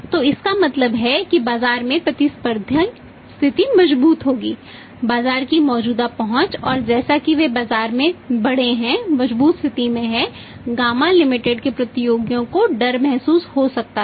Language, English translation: Hindi, So, it means that competitive position will strengthen in the market existence distance of the market and as they increased at strengthening position in the market of Ghama Limited their competitors may feel threatened